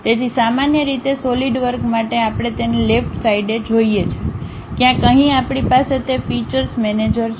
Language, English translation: Gujarati, So, usually for Solidworks we see it on the left hand side, somewhere here we have that feature manager